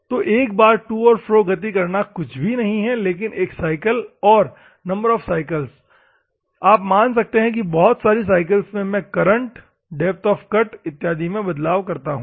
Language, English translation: Hindi, So, one movement to and fro is nothing, but one cycle, ok; the number of cycles you can give assume that I want to go for as many cycles and I can change the depth of cut and other things